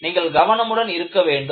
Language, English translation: Tamil, So, you have to be very careful